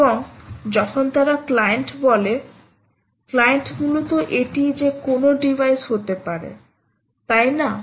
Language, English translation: Bengali, so when they say a client client essentially is a it can be any device, right